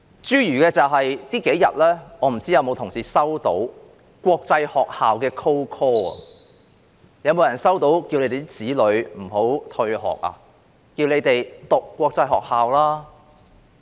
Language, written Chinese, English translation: Cantonese, 諸如這數天，我不知道有否同事接到國際學校的 cold call， 叫他們的子女不要退學，叫他們讓子女入讀國際學校？, For example I am not sure if any colleagues have in the past few days received cold calls from international schools asking their children not to drop out and urging them to enrol their children in international schools